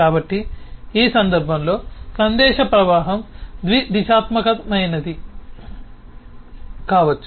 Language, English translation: Telugu, so the message flow in this case could be bidirectional